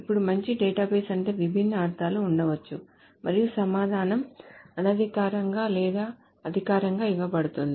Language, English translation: Telugu, Now, there can be different meanings of what a good database is and the answer can be given informally or formally